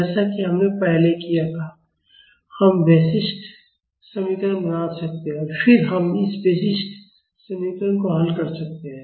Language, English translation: Hindi, As we did earlier, we can formulate the characteristic equation and then we can solve this characteristic equation